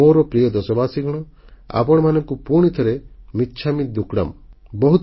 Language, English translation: Odia, My dear countrymen, once again, I wish you "michchamidukkadm